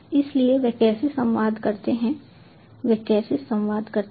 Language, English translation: Hindi, so how do they communicate